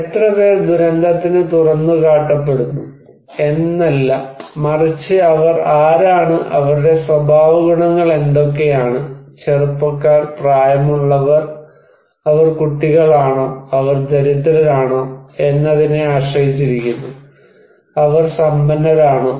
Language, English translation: Malayalam, Now, it is not that how many people are exposed, but it also depends that who are they, what are their characteristics, are the young, are they old, are they kid, are they poor, are they rich